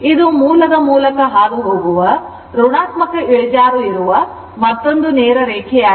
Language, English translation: Kannada, This a straight another straight line passing through the origin the slope is negative right